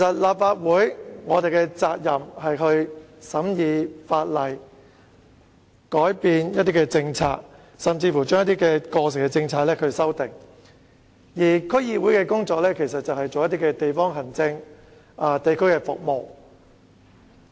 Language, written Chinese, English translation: Cantonese, 立法會的責任是審議法例、改變一些政策，甚至對過時的政策進行修訂，而區議會則負責地方行政和地區服務的工作。, The Legislative Council is responsible for scrutiny of legislation change of policies or even introduction of amendments to outdated policies while DCs are responsible for district administration and provision of district services